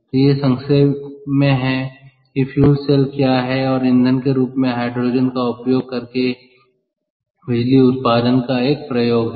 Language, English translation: Hindi, ok, so this is how, in nutshell, what is a fuel cell and an application of generation of electricity using hydrogen as a fuel